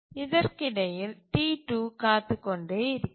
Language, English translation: Tamil, And meanwhile T2 keeps on waiting